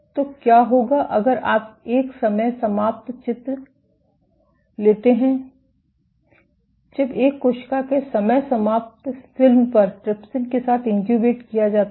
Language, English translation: Hindi, So, what if you take a time lapse image, time lapse movie of a cell rounding up when incubated with trypsin